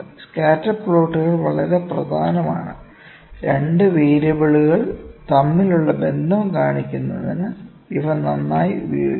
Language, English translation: Malayalam, Scatter plots are very important scatter plots are well suited to show the relationship between 2 variables